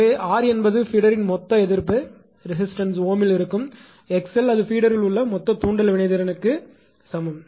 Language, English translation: Tamil, So, r is the total resistance of the feeder that is in ohm; x l is equal to total inductive reactance of the feeder it is in ohm